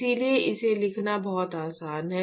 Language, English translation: Hindi, So, it is very easy to write this